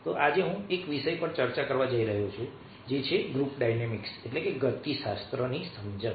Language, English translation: Gujarati, so today i am going to discuss on the topic that is, understanding group dynamics